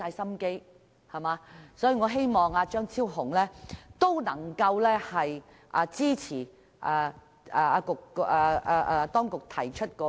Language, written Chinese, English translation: Cantonese, 所以，我希望張議員能支持政府當局提出的修訂。, I therefore hope that Dr CHEUNG will support the amendment proposed by the Government